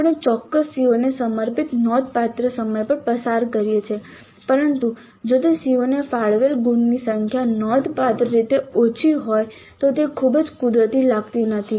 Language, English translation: Gujarati, We spend considerable amount of time devoted to a particular CO but in allocating the Mars the number of Mars allocated to that CO is significantly low, it does not look very natural